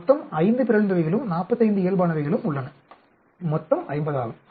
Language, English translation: Tamil, Total has 5 mutants and 45 normal, and the total is 50